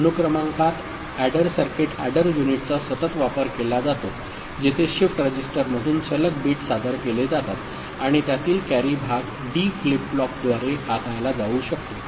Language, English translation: Marathi, Serial addition uses an adder circuit adder unit successively where consecutive bits are presented from shift register and the carry part of it can be handled by a D flip flop